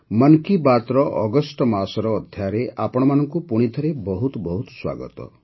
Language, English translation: Odia, A very warm welcome to you once again in the August episode of Mann Ki Baat